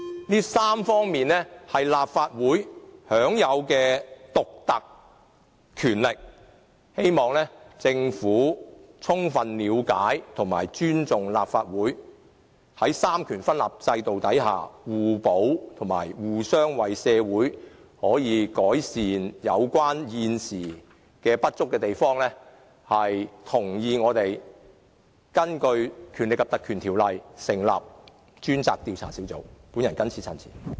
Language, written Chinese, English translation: Cantonese, 這3方面是立法會享有的獨特權力，希望政府充分了解和尊重立法會，在三權分立制度下互補，以及互相為社會改善現時的不足之處，同意立法會根據《權力及特權條例》成立專責委員會，進行調查。, The Legislative Council enjoys a unique power in these three aspects and I hope that the Government can fully understand and respect the Legislative Council . Under the system of separation of powers the three branches should complement each other and address existing inadequacies together for the sake of improving our society . I hope that the Government can agree with the Legislative Council in setting up a select committee in accordance with the Ordinance to carry out an investigation